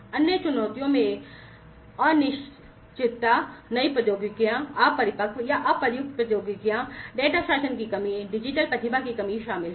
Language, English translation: Hindi, Other challenges include uncertain on new technologies, immature or untested technologies, lack of data governance, shortage of digital talent